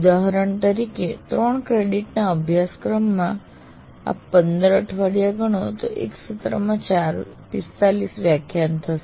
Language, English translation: Gujarati, For example, a three credit course will take about even if you take 15 weeks, working weeks, it is 45 lectures in a semester